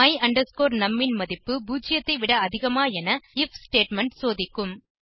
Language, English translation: Tamil, The if statement will check if the value of my num is greater than 0